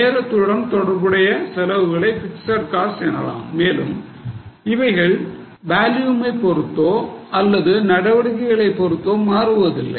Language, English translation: Tamil, Fix costs are those costs which are related to time and they don't change with volume or with the level of activity